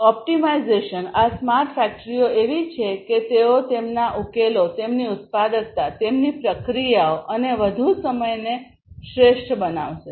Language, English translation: Gujarati, Optimization; over all these smart factories are such that they will optimize their solutions their productivity, their processes, and so on overtime